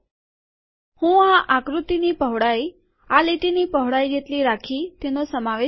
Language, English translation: Gujarati, I include it here with the width of this figure coming out to be equal to that of the line width